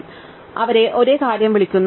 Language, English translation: Malayalam, Well, we just call them the same thing